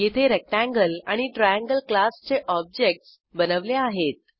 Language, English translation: Marathi, Here we create objects of class Rectangle and Triangle